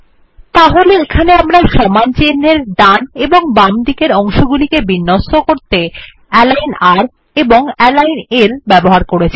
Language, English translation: Bengali, So here, we have used align r and align l to align the parts to the right and the left of the equal to character